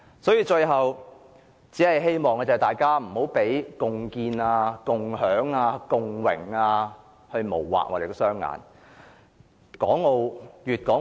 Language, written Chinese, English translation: Cantonese, 所以，最後，我只希望大家不要被共建、共享、共榮等字眼迷惑。, So last but not least I hope Members would not be lured by those words of joint efforts to build enjoy and share the glory